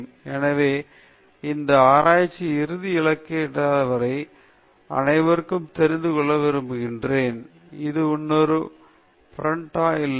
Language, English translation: Tamil, So, the ultimate goal of any research is to get that immortal status; everybody wants to know will I become another Prandtl